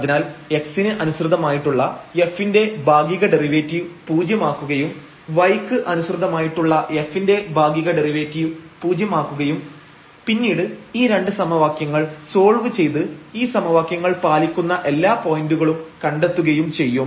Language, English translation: Malayalam, So, the partial derivative of f with respect to x will be set to 0 and partial derivative of f with respect to y will be set to 0 and then we will solve these 2 equations to get all the points which satisfy these equations